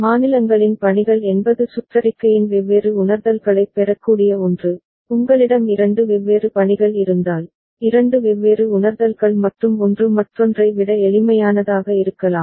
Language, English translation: Tamil, And assignments of states is something by which one can get to different realizations of the circuit ok, I mean if you have two different assignments, two different realizations and one may be simpler than the other ok